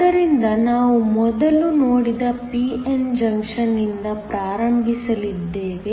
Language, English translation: Kannada, So, we are going to start with the p n junction that we have looked at before